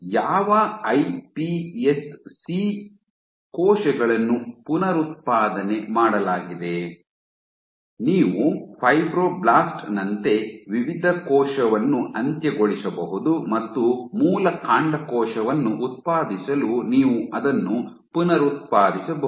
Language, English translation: Kannada, What iPS cells are they are reprogram, you can take a terminate differentiated cell like a fibroblast and you can reprogram it to generate the original stem cell